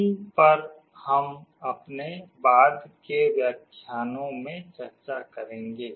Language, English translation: Hindi, These we shall be discussing in our subsequent lectures